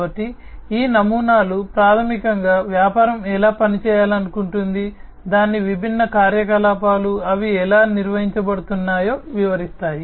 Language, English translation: Telugu, So, these models basically will give the description of how the business wants to operate, its different operations, how it is how they are going to be performed